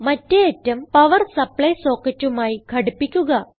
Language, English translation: Malayalam, Now, connect the other end to a power supply socket